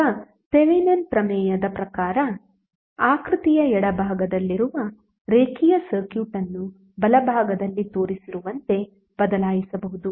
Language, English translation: Kannada, Now according to Thevenin’s theorem, the linear circuit in the left of the figure which is one below can be replaced by that shown in the right